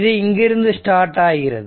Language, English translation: Tamil, So, it will start from here